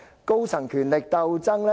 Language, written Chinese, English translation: Cantonese, 高層權力鬥爭？, The power struggle among top officials?